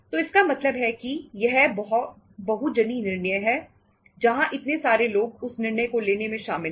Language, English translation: Hindi, So it means itís a itís a multi people decision where so many people are involved in taking that decision